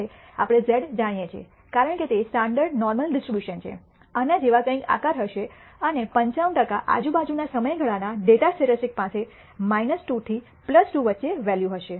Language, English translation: Gujarati, Now, we know that this z, because it is a standard normal distribution, will have some shape like this and about 95 per cent of the time the data the statistic will have a value between around minus 2 to plus 2